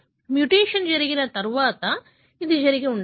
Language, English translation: Telugu, It could have happened after the mutation took place